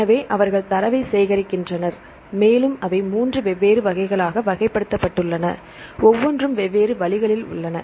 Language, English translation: Tamil, So, they collect the data and they classified into 3 different categories and each one present in different ways